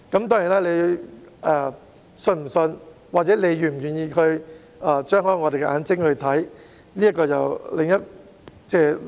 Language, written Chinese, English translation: Cantonese, 當然，你是否相信，或者是否願意張開眼睛去看，這是另一回事。, Of course it is another issue whether you believe them or whether you are willing to open your eyes to look at it